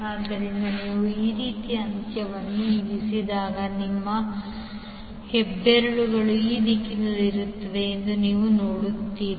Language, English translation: Kannada, So you will see when you place end like this your thumb will be in this direction